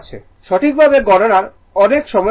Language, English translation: Bengali, You need lot of computation time right